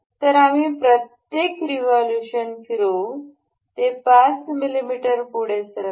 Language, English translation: Marathi, So, we will revolve it like this per revolution it moves 5 mm forward